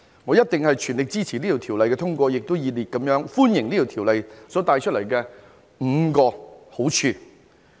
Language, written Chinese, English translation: Cantonese, 我一定全力支持通過《條例草案》，也熱烈歡迎《條例草案》所帶來的5個好處。, I fully support the passage of the Bill and I warmly welcome the five advantages brought about by the Bill